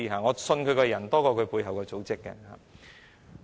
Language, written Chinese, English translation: Cantonese, 我相信他個人多於他背後的組織。, I have more trust in him personally than the organizations behind him